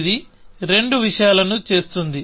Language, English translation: Telugu, So, it is taking the advantage of both the things